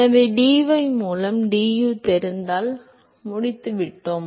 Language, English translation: Tamil, So, if we know du by dy we are done